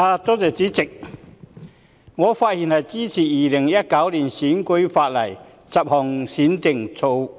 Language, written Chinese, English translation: Cantonese, 主席，我發言支持《2019年選舉法例條例草案》。, President I speak in support of the Electoral Legislation Bill 2019 the Bill